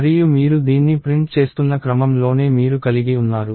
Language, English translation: Telugu, And you have the same order in which you are printing this